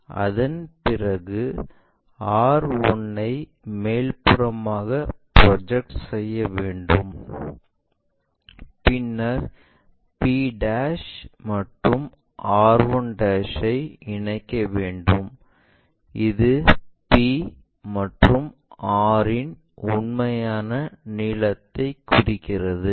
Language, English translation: Tamil, After that project r 1 all the way up to locate r 1', and then join p' r 1' in that way, and this represents true length of the line p and r